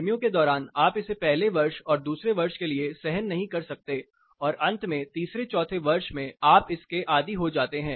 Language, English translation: Hindi, During summer you cannot stand it for the first year, for the second year and eventually third fourth year you get used to it